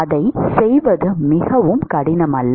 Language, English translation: Tamil, It is not very difficult to do